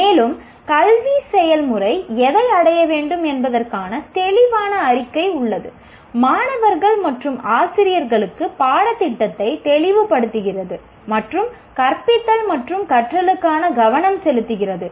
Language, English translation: Tamil, An explicit statement of what the educational process aims to achieve clarifies the curriculum to both students and teachers and provide a focus for teaching and learning